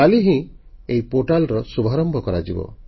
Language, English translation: Odia, The Ministry is launching the portal tomorrow